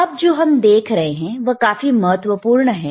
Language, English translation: Hindi, What we see is extremely important, all right